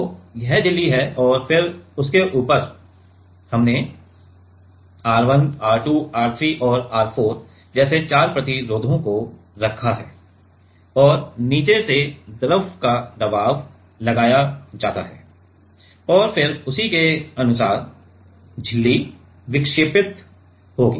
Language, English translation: Hindi, So, this is the membrane and then on top of that we have put this four resistors like R 1, R 2, R 3 and R 4 and fluid pressure is applied from the bottom and then accordingly the membrane will deflect